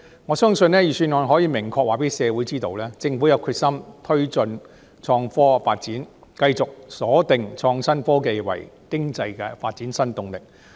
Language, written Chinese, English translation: Cantonese, 我相信，預算案可以明確讓社會知道，政府有決心推動創科發展，繼續鎖定創新科技為經濟發展的新動力。, I believe that the Budget enables the public to clearly know that the Government is determined to promote IT development and continue to regard IT as a new driving force for economic development